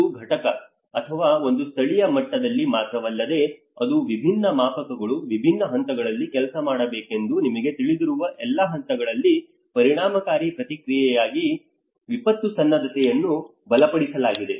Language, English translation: Kannada, Strengthen the disaster preparedness for effective response at all levels you know that is not only at one unit or one local level, but it has to work out a different scales, different levels